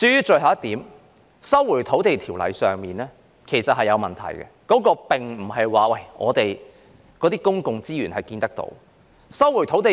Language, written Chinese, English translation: Cantonese, 最後，有關《收回土地條例》的建議其實是有問題的，它所關乎的公共資源並非肉眼所能看見。, Lastly the suggestion concerning the Lands Resumption Ordinance is actually deficient as it is concerned with intangible public resources